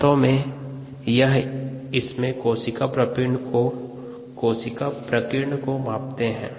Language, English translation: Hindi, but it is actually a measure of a cell scatter